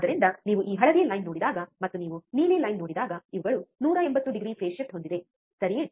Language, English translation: Kannada, So, when you see this yellow line, and when you see the blue line, these are 180 degree out of phase, 180 degree out of phase right so, this is ok